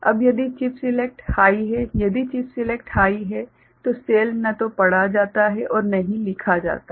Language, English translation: Hindi, Now, if chip select is high, if chip select is high then the cell is neither read nor written in ok